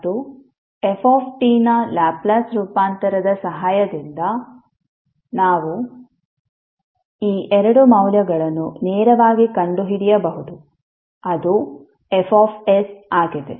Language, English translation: Kannada, And we can find out these two values directly with the help of Laplace transform of f t that is F s